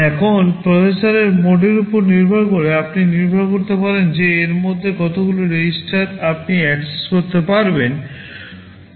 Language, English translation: Bengali, Now, depending on the processor mode, it depends how many of these registers you can actually access